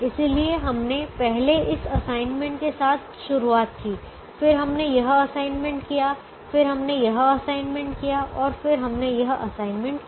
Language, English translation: Hindi, so we first started with this assignment, then we did this assignment, then we did this assignment and then we did this assignment